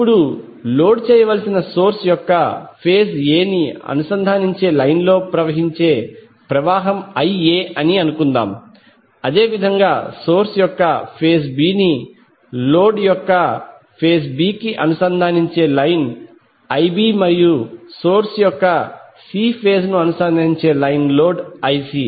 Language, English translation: Telugu, Now let us assume that the current which is flowing in the line connecting phase A of the source to load is IA, similarly the line connecting phase B of the source to phase B of the load is IB and a line connecting C phase of the source to C phase of the load is IC